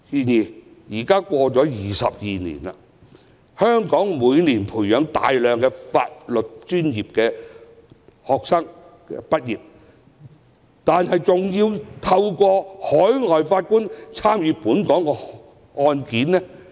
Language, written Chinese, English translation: Cantonese, 然而 ，22 年已過去，香港每年培訓出大量法律專業的畢業生，卻依然要借助海外法官審議本港的案件。, However 22 years have passed and with a large number of law graduates trained every year still Hong Kong needs to rely on overseas Judges to hear local cases